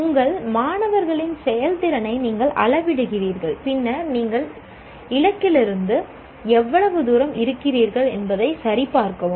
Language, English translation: Tamil, Then you measure the performance of your students and then check how far you are from the target